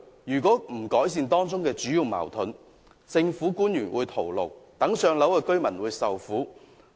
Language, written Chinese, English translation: Cantonese, 如果無法解決當中的矛盾，政府官員只會徒勞，而輪候"上樓"的居民亦會受苦。, If such conflict cannot be resolved the efforts of government officials will become futile and applicants on the Waiting List for Public Rental Housing will continue to suffer as well